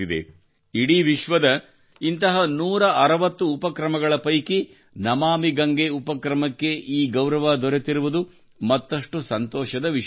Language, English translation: Kannada, It is even more heartening that 'Namami Gange' has received this honor among 160 such initiatives from all over the world